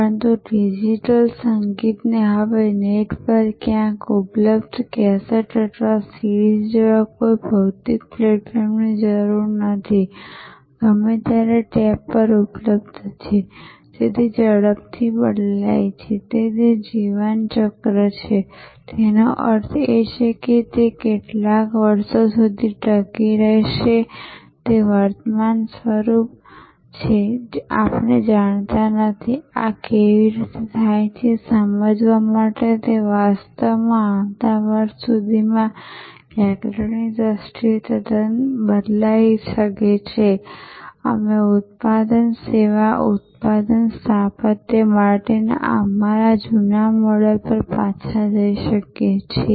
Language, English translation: Gujarati, But, digital music which is now often not in need of any physical platform like a cassette or a CD available somewhere on the net, available on tap anytime changing so, rapidly that it is life cycle; that means, how many years it will survive in it is current form we do not know, it might actually change quite grammatically by next year to understand how this happens, we may go back to this our old model for product service product architecture, the service flower model